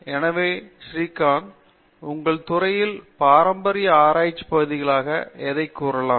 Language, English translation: Tamil, So, Srikanth, in your department, what would you classify as a traditional areas of research